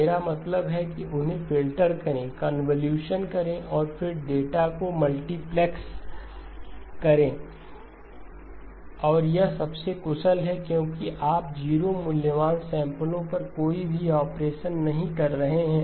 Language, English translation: Hindi, I mean filter them convolution, and then multiplex the data and that is the most efficient because you are not doing any operations on 0 valued samples